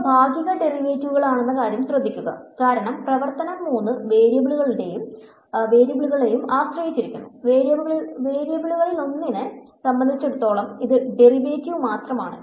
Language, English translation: Malayalam, Note that these are partial derivatives, because the function depends on all three variables this only text the derivative with respect to one of the variables